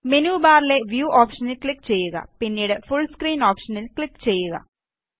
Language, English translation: Malayalam, Click on the View option in the menu bar and then click on the Full Screen option